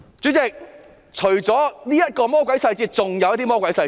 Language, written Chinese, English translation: Cantonese, 主席，除了這個魔鬼細節，還有其他的魔鬼細節。, President apart from this devilish detail there are other such details as well